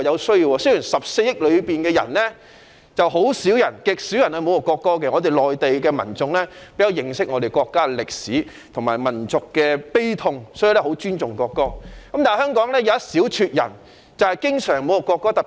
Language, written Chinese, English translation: Cantonese, 雖然中國14億人中極少人會侮辱國歌，內地民眾比較認識國家的歷史和民族悲痛，十分尊重國歌，但香港有一小撮人經常侮辱國歌。, Although very few among the 1.4 billion people of China would insult the national anthem and people on the Mainland very much respect the national anthem given their good understanding of the history of the country and national grief a small fraction of people in Hong Kong constantly insult the national anthem